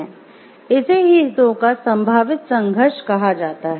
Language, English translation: Hindi, So, this is called a potential conflict of interest